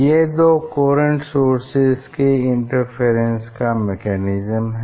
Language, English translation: Hindi, this is the mechanism for interference between two coherent source